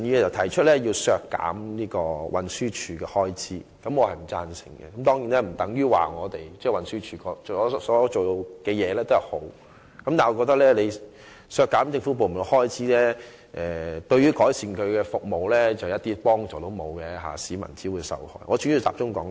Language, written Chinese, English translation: Cantonese, 陳志全議員要求削減運輸署的預算開支，對此我並不贊成，但這並不等於運輸署表現優秀，我只是認為削減政府部門的預算開支，對於改善其服務將毫無幫助，只會令市民受害。, Mr CHAN Chi - chuen made a request for deducting the estimated expenditure for the Transport Department . I disagree with that but it does not mean the Transport Department has excellent performance . I simply consider that deducting the estimated expenditure for government departments will be helpless in improving their services which will only victimize members of the public